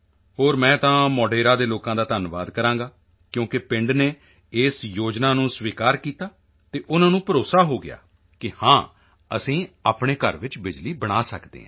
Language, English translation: Punjabi, And I would like to congratulate the people of Modhera because the village accepted this scheme and they were convinced that yes we can make electricity in our house